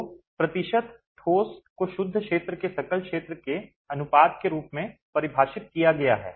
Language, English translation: Hindi, So, percentage solid is defined as the ratio of net area to gross area